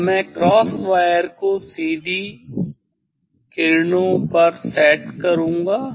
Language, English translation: Hindi, Now, I will set I will set the cross wire at the direct yes